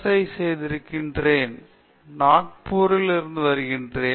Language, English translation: Tamil, I am doing my MS here and I am from Nagpur